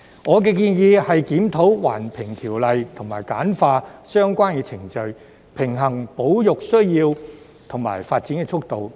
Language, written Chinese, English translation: Cantonese, 我的建議是檢討《環境影響評估條例》及簡化相關程序，平衡保育需要與發展速度。, My proposal is to review the Environmental Impact Assessment Ordinance and streamline relevant procedures so as to strike a balance between conservation needs and the pace of development